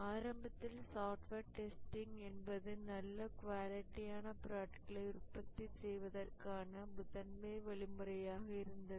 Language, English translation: Tamil, Initially, software testing was the primary means of manufacturing good quality products